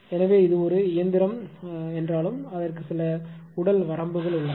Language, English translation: Tamil, So, you you I mean it is although it is a machine it has some physical limit